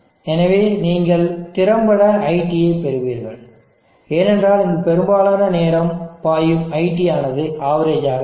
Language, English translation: Tamil, S so you will effectively get IT, because majority of the time what is flowing here will be the IT average